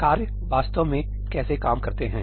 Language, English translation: Hindi, How do tasks actually work